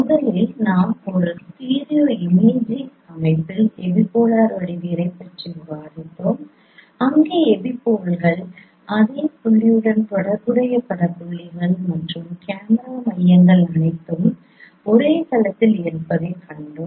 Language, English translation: Tamil, First we discussed epipolar geometry in a stereo imaging system and there we have seen that epipoles, scene point, corresponding image points and camera centers all of them lie on the same plane